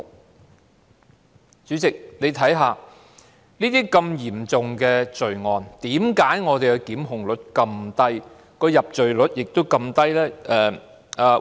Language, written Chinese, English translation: Cantonese, 代理主席，如此嚴重的罪案，為何檢控率這麼低、入罪率這麼低呢？, The prosecution rate was 11 % while the conviction rate was 6 % . Deputy President why is the conviction rate for such a serious crime so low?